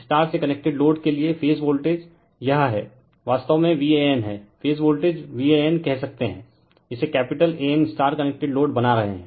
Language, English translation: Hindi, For star connected load, the phase voltages are this is actually v AN, we can say phase voltage v AN, we are making it capital AN right star connected load